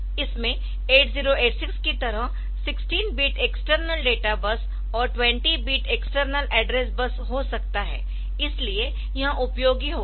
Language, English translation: Hindi, So, so it can have 16 bit external data bus and 20 bit external address bus just like 8086, so that way it is going to be useful